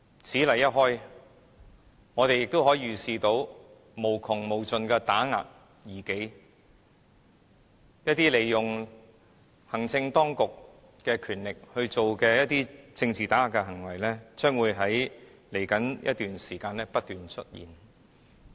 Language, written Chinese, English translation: Cantonese, 此例一開，我們可以預見無窮無盡的打壓異己行動，利用行政當局的權力進行政治打壓的行為，將會在未來一段時間湧現。, It sets a dangerous precedent . We can foresee that endless actions will be taken to suppress dissident views and the powers of the executive authorities will be used as tools for political suppression in the days to come